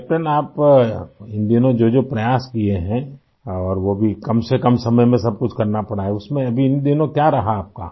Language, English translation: Hindi, Captain the efforts that you made these days… that too you had to do in very short time…How have you been placed these days